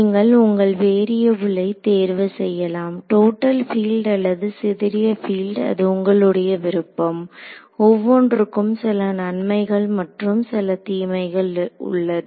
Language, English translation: Tamil, You could choose to have your variables be either the total filed or the scattered field it is your choice, total your choice each method will have some advantages and some disadvantages